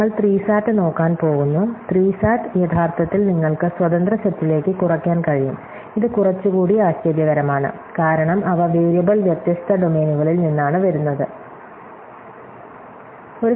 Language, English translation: Malayalam, We are going to look at SAT and say that SAT actually you can reduce to independent set, which is the little bit more surprising, because they seen come from variable different domains